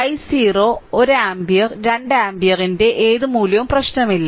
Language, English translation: Malayalam, Any value of i 0 1 ampere 2 ampere it does not matter